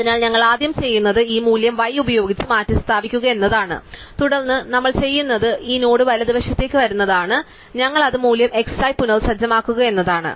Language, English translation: Malayalam, So, what we do is we first replace this value by y, then what we do is we make this node come to the right and we reset it is value to x